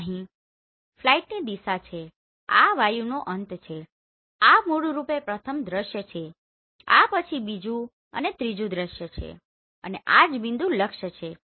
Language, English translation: Gujarati, So here this is the flight direction this is the end of view this is basically the first view then second and third view and this is the point target right